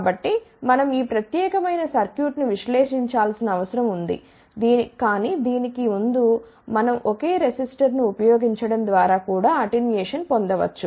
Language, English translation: Telugu, So, we need to analyze this particular circuit, but before that we can actually get an attenuation even by using a single resistor also